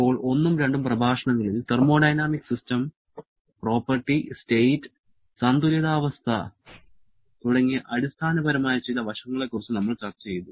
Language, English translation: Malayalam, Now, in the first and second lecture, we have discussed about some very fundamental aspects like the concept of thermodynamic system, property, state, equilibrium